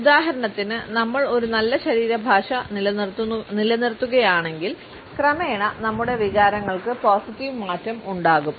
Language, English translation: Malayalam, For example, if we maintain a positive body language, then gradually our emotions would have a positive shift